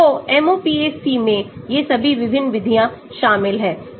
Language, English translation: Hindi, so MOPAC contains all these different methods